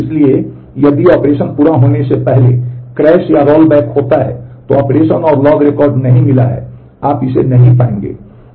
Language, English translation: Hindi, So, if the crash or rollback occurs before the operation completes, then operation and log record is not found you will not find it